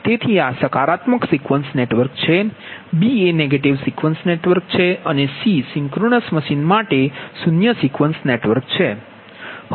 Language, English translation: Gujarati, b is negative sequence network and c is zero sequence network for synchronous machine